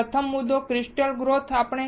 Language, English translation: Gujarati, So, the first point is crystal growth